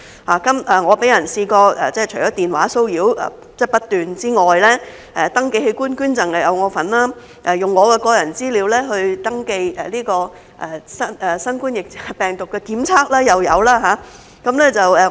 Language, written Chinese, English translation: Cantonese, 我除了被人不斷電話騷擾之外，登記器官捐贈又有我的份兒，用我的個人資料登記新型冠狀病毒檢測又有。, In addition to being harassed by phone calls I have been involved in registering for organ donations and my personal data has also been used for registering for COVID - 19 testing services